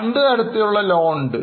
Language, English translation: Malayalam, They are of two types